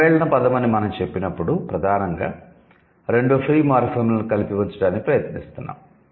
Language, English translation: Telugu, And when we say compound word, we are mainly trying to put it, put two free morphemes together